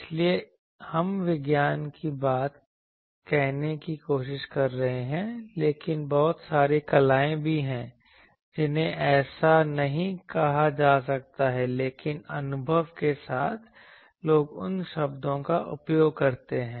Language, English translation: Hindi, So, we are trying to say the science thing, but there are also a lot of arts which cannot be said like this, but with experience people get those word